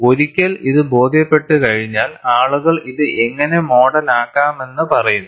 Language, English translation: Malayalam, Once it was convinced, people said how it could be modeled